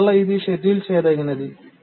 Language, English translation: Telugu, So this is also schedulable